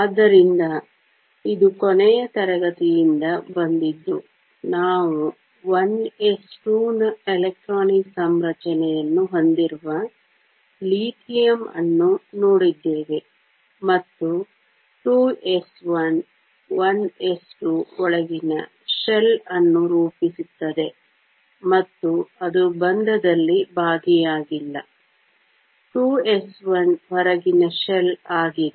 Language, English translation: Kannada, So, this is from last class, we looked at lithium which has an electronic configuration of 1 s 2 and 2 s 1; 1 s 2 forms the inner shell and it is not involved in bonding; 2 s 1 is the outer shell